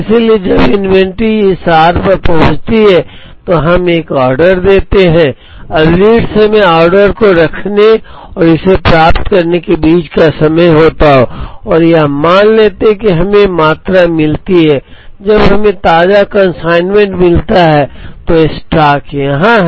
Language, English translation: Hindi, So when the inventory reaches this r we place an order, now the lead time is the time between placing the order and getting it and let us assume that we get the quantity, when we get the fresh consignment the stock is here